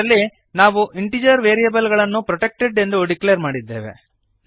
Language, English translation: Kannada, In this we have declared integer variables as as protected